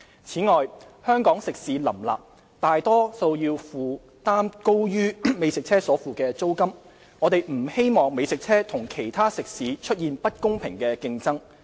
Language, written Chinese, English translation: Cantonese, 此外，香港食肆林立，大多數要負擔遠高於美食車所付的租金，我們不希望美食車與其他食肆出現不公平的競爭。, It is not positioned as the mainstream restaurants . Furthermore there are many restaurants in Hong Kong and most of them have to pay much higher rental fees than the food trucks . We consider it undesirable for food trucks to engage in unfair competition with other restaurants